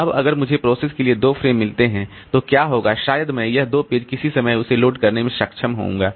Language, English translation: Hindi, Now, if I allocate only two frames for the process, then what will happen maybe I'll be able to load so these two pages at some point of time